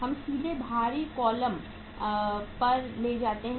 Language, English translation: Hindi, We can directly take to the outer column